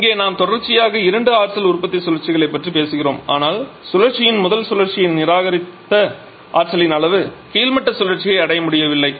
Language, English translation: Tamil, Here you are talking about two power producing cycles in series with each other but the amount of energy rejected topping cycle entire of that is not able to really reach the bottoming cycle